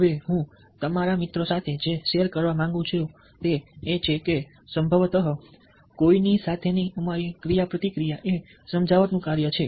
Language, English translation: Gujarati, now, what i would like to share with you, friends, is that probably our very act of ah, interaction with anybody is an act of persuasion